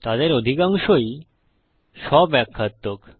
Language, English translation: Bengali, Most of them are self explanatory